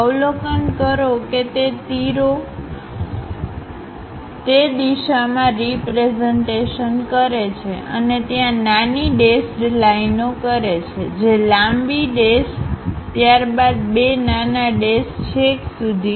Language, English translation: Gujarati, Observe that arrows are pointing in that direction and there is a dash small dashed lines; so, a very long dash followed by two small dashed lines goes all the way